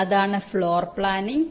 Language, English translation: Malayalam, that is floor planning